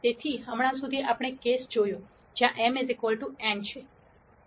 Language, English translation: Gujarati, So, till now we saw the case, where m equal to n